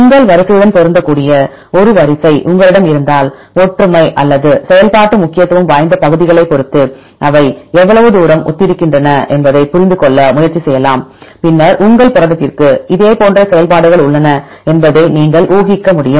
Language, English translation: Tamil, If you have a sequence which match with your sequence then you can try to understand how far they are similar depending upon the similarity or any functionally important regions, then you can infer that your protein has also similar functions